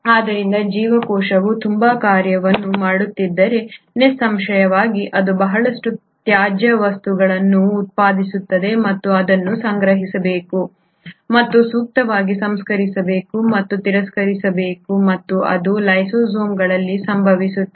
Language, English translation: Kannada, So if a cell is doing so much of a function, obviously it is going to produce a lot of waste matter which needs to be collected and appropriately processed and discarded and that happens in lysosomes